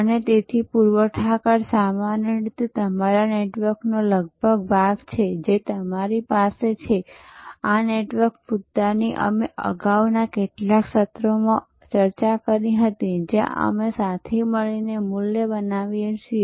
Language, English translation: Gujarati, And therefore, suppliers normally or almost part of your network that we have, this network issue we had already discussed earlier in the some of the earlier sessions, where we create the value together